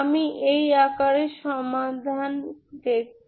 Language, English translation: Bengali, I look for solution in this form